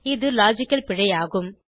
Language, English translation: Tamil, This is a logical error